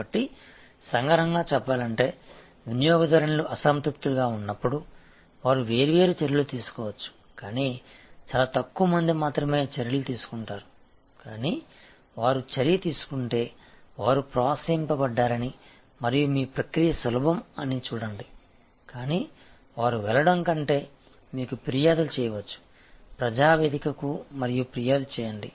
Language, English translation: Telugu, So, to summarize, when customers are dissatisfied, they can take different actions, but very few people take actions, but if they do take actions, see that they are encouraged and your process is easy, but they can complain to you rather than go to a public forum and complain